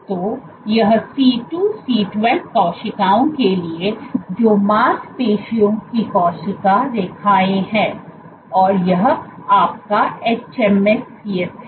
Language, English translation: Hindi, So, this is for C2C12 cells which are muscle cell lines and this is your hMSCs